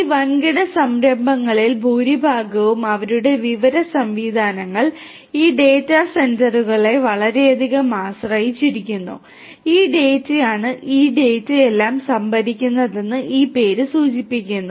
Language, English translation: Malayalam, Most of these large scale enterprises their information systems are highly dependent on these data centres, it is these data centres as this name suggests which stores all this data